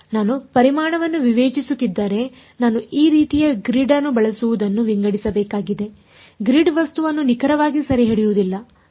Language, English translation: Kannada, So, if I am discretising the volume I need to sort of use a make a grid like this; The grid is not going to be exactly capturing the object ok